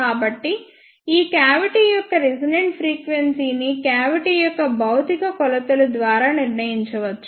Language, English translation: Telugu, So, the resonant frequency of this cavity can be determined by the physical dimensions of the cavity